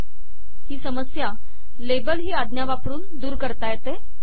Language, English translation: Marathi, This is solved by the label command